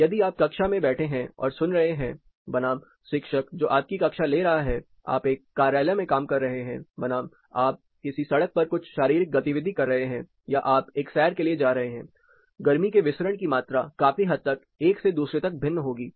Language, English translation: Hindi, So, if you are in the class sitting and listening, versus faculty who is taking a class you are working in an office, versus you are on this street doing some physical activity or you are going for a jog; the amount of heat dissipation considerably varies from one to the other